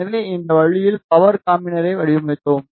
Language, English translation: Tamil, So, in this way we designed power combiner